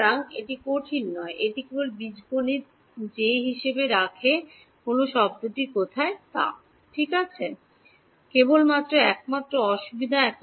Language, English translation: Bengali, So, this is not difficult it is just algebra keeping track of which term is where and all right the only difficulty actually